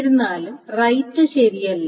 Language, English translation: Malayalam, The rights, however, are not correct